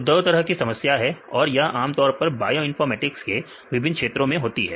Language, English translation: Hindi, So, two types of problems, this is generally occurring in various fields of bioinformatics right